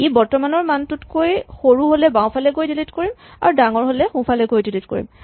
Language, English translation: Assamese, So, if it is less than the current value then we go to the left and delete if it is bigger than the current value we go to the right and delete